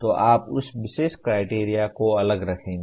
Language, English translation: Hindi, So you will keep that particular criterion separate